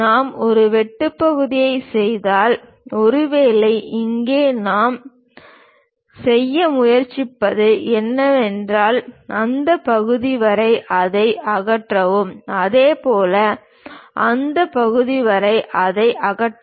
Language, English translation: Tamil, If we make a cut section; perhaps here cut section what we are trying to do is, up to that part remove it, similarly up to that part remove it